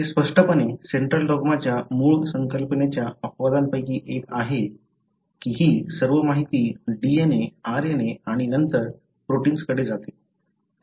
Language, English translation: Marathi, So, this is obviously one of the exceptions of the original concept of Central Dogma, that all this information has to go from DNA, RNA and then to protein